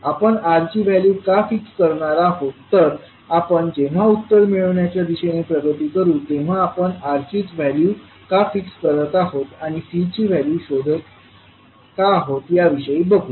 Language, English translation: Marathi, Why we will fix that value, we will see that when we will progress with the solution, that why we are fixing value of R and finding out value of C